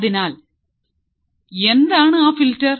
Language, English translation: Malayalam, So, what is that filter